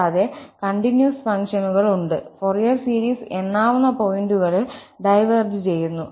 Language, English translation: Malayalam, Also, there are continuous functions, even we have those functions whose Fourier series diverges at a countable number of points